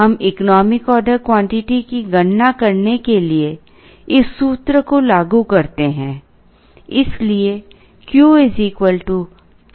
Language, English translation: Hindi, We apply this formula to compute the economic order quantity